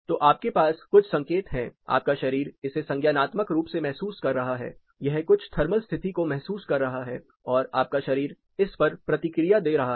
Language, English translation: Hindi, So, you have certain ques you are body is sensing it cognitively, it is sensing certain thermal condition and you are responding to it